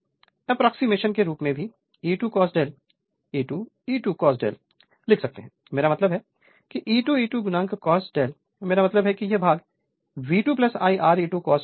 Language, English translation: Hindi, Now, as an approximation you can write for the E 2 now E 2 now another thing you can write the E 2 cos delta is equal to V 2 plus I 2 R e 2 that also we can write E 2 cos delta is equal to